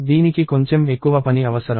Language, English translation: Telugu, This requires a little more work